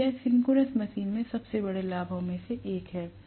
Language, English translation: Hindi, So this is one of the greatest advantages of the synchronous machine